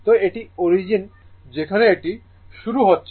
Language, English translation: Bengali, So, this is the origin here it is starting